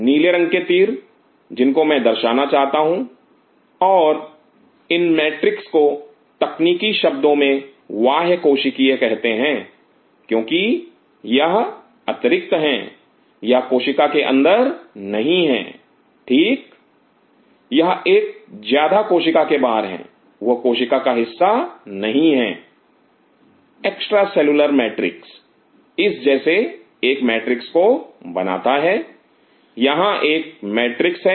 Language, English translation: Hindi, Those blue color arrows what I am trying to show and this matrix is called in technical terms it is called extra cellular, because it is extra it is not inside the cell right it is an extra outside the cell extra this is not part of the cell extra cellular matrix it forms a matrix like this there is a matrix